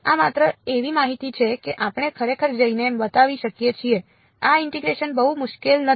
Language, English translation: Gujarati, This is just information we can we can actually go and show this integration its not very difficult ok